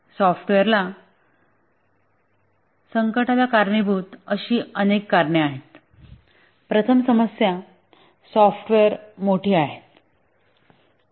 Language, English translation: Marathi, There are many reasons which contribute to the software crisis